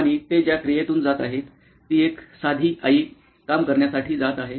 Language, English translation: Marathi, And what is the activity that they are going through, is a simple mom riding to work